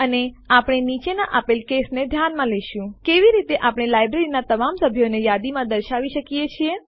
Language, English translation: Gujarati, And we will consider the following case: How can we list all the members of the library